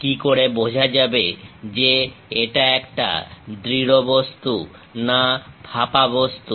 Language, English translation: Bengali, How to know, whether it is a solid object or a hollow one